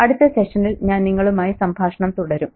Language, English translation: Malayalam, I'll catch up with you in the next session